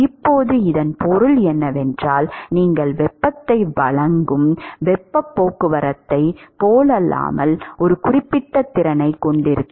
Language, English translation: Tamil, Now, what it means is that unlike in the in the case of heat transport where you supply heat the material is going to have a certain capacity